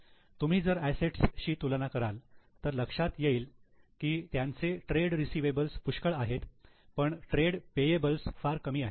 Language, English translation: Marathi, If you go for comparison with assets, they have got substantial amount of trade receivables, but trade payables are very small